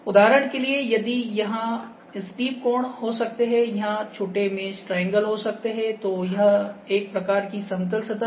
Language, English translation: Hindi, For instance, if the steep angles here, if the steep angles here, if the triangle mesh can be the smaller triangles, here it is the kind of plane surface